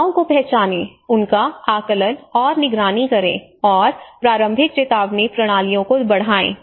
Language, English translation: Hindi, Identify, assess and monitor disasters and enhance early warning systems